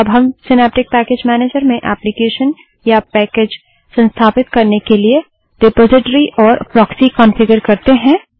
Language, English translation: Hindi, Let us configure Proxy and Repository in Synaptic Package Manager for installing an application or package